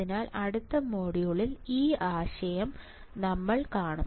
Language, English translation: Malayalam, So, we will see this concept in the next module